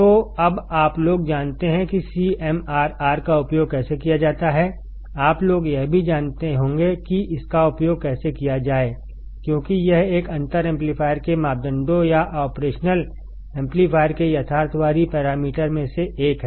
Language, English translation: Hindi, So, now you guys know how to use CMRR, you guys will also know how to use this as the parameter this is one of the parameters of a differential amplifier or the realistic parameter of operational amplifier